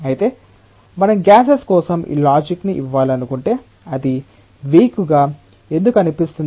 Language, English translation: Telugu, However, if we want to give this logic for gases, it sounds to be weak why it sounds to be weak